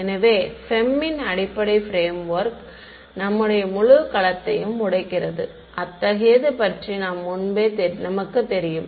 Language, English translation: Tamil, So, the basic frame work of FEM is break up your whole domain into such you know